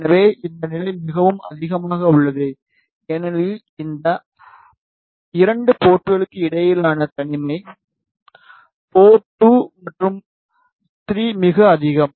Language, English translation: Tamil, So, this level is very high because the isolation between those 2 ports port 2 and 3 is very high